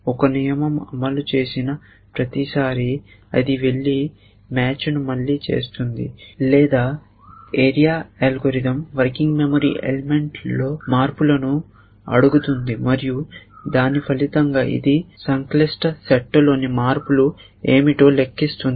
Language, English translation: Telugu, Every time a rule fires it go the does match all over again or the area algorithm does is says tell me what are the changes in the working memory element and it computes that as a result what are the changes in the complex set